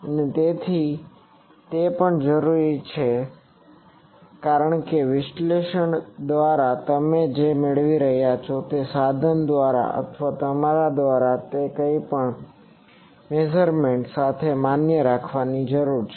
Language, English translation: Gujarati, And also it is required because by analysis what you are getting may be by the tool or by yourself whatever that needs to be validated with the measurements